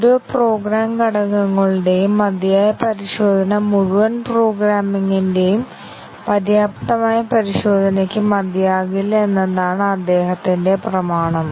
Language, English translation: Malayalam, The statement of his axiom is that adequate testing of each individual program components does not necessarily suffice adequate test of entire program